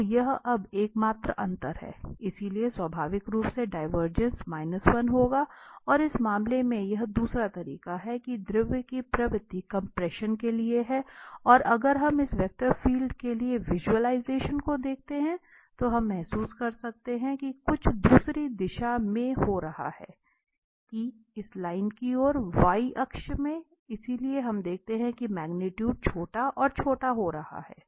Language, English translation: Hindi, For instance, if we consider the v is equal to minus x instead of this plus x so, that is the only difference now, so, naturally the divergence will be minus 1 and in this case it is the other way around, that the tendency of the fluid is for the compression and if we look at the visualization of this vector field, then we can realize that something is happening in the other direction now, that towards this line here the y axis, so, we do see that the magnitude is becoming smaller and smaller